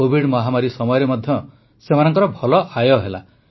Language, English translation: Odia, They had good income even during the Covid pandemic